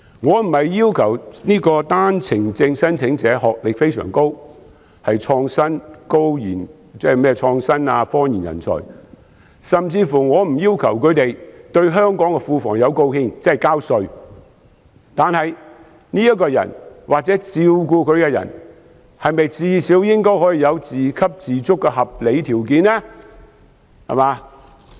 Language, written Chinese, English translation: Cantonese, 我並非要求單程證申請者的學歷要非常高，是創新科研人才，甚至我不要求他們對香港的庫房有貢獻，但是，這個人或照顧他的人是否最少應該有自給自足的合理條件？, I am not asking OWP applicants to have very high educational attainment or be talents in innovation and scientific research nor even asking them to contribute to the coffers of Hong Kong namely to pay tax but should they or the persons caring for them have at least reasonable conditions for self - sufficiency?